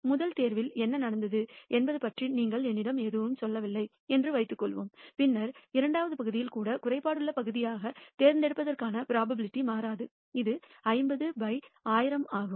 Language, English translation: Tamil, Suppose you do not tell me anything about what happened in the first pick, then I will say that the probability of picking as defective part even in the second is unchanged it is 50 by 1,000